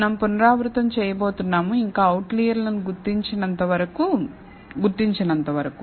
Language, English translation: Telugu, Now, we are going to iterate, till we detect no more outliers